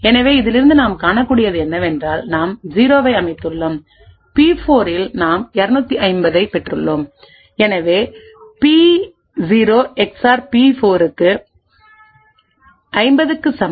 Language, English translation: Tamil, So, from this what we can see is that P0 we have set to 0, P4 we have obtained 250, so P0 XOR P4 is equal to 50